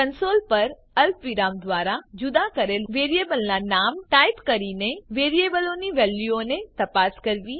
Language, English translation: Gujarati, Check values in variables by typing the name of the variable separated by commas on the console